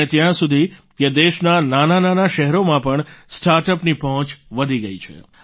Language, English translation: Gujarati, The reach of startups has increased even in small towns of the country